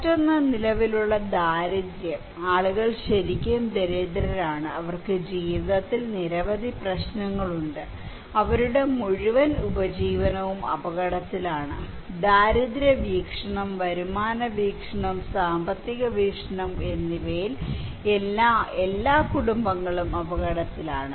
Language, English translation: Malayalam, Another one is the existing poverty; people are really poor, they have so many problems in life, their entire livelihood is at risk, all households they are at risk from the poverty perspective, income perspective, economic perspective